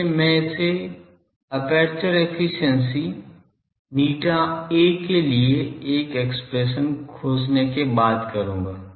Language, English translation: Hindi, So, I will take this after see finding an expression for aperture efficiency eta A